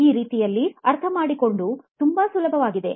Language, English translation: Kannada, It is much easier to understand that way